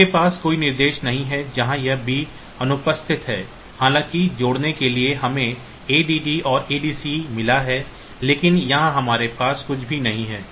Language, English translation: Hindi, So, this you do not have any instruction where this b is absent though we for add we have got add and add C, but here we do not have anything only